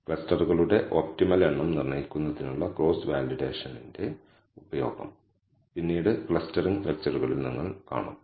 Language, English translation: Malayalam, Later on, you will see in the clustering lectures, the use of cross validation for determining the optimal number of clusters